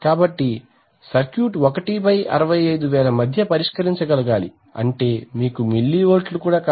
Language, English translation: Telugu, So the circuit should be able to resolve between 1/65,000 will be you know something like, not even mini volts, right